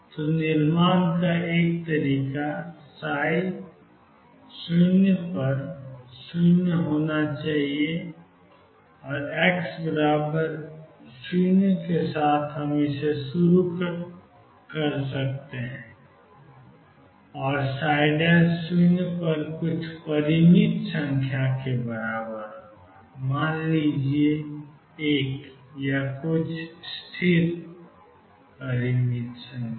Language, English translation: Hindi, So, one way of constructing could be start at x equal to 0 with psi 0 equals 0 and psi prime 0 equals some finite number let us say 1 or some constant